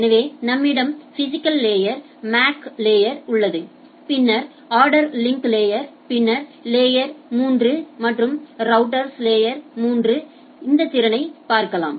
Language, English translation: Tamil, So, we have physical layer, MAC layer and then ordered link layer and then the layer 3 and router can look at the layer 3 capability